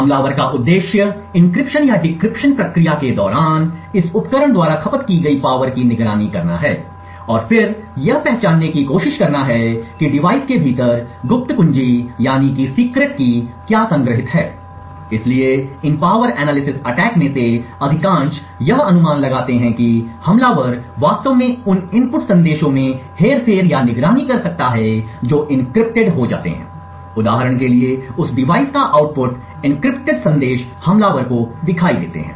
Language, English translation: Hindi, The objective of the attacker is to monitor the power consumed by this device during the encryption or decryption process and then try to identify what the secret key is stored within the device is, so most of these power analysis attacks make the assumption that the attacker can actually manipulate or monitor the input messages that get encrypted or the output of that device for example the encrypted messages are visible to the attacker